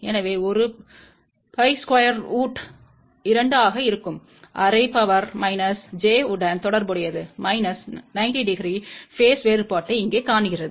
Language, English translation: Tamil, So, 1 by square root 2 will be corresponding to half power minus j shows minus 90 degree phase difference here